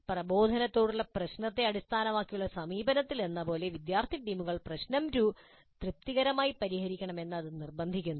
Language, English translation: Malayalam, Whereas in the problem based approach to instruction, it only insists that the students teams must solve the problem satisfactorily